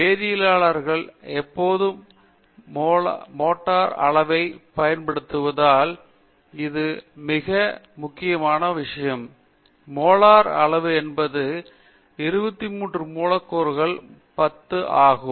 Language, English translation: Tamil, This is a very, very important thing because chemists are always using the molar quantities, molar quantities means 10 to the of 23 molecules